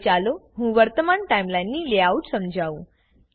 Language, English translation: Gujarati, Now, let me explain the layout of the Timeline